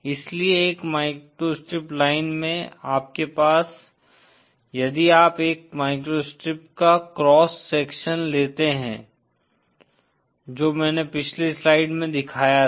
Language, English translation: Hindi, So in a microstrip line, you have, if you take a cross section of a microstrip, which I showed in the previous slide